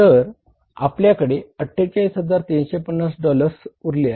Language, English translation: Marathi, 48, 350 dollars are left with us